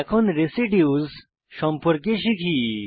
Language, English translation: Bengali, Now, lets learn about Residues